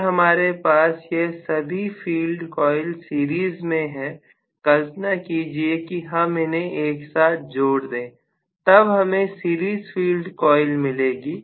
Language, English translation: Hindi, If I have all of them in series, all the field coils are in series, imagine them to be lumped together that is what is the total series field coil